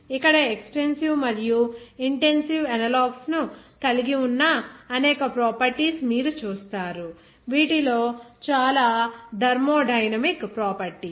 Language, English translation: Telugu, Like here, there are a number of properties you will see that have corresponding extensive and intensive analogs, many of which are thermodynamic properties